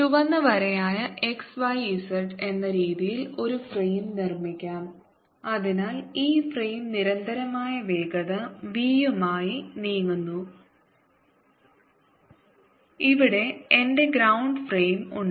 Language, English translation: Malayalam, let me make a frame by, as red line, x, y, z, and this frame, therefore, is also moving with constant velocity v, and here is my ground frame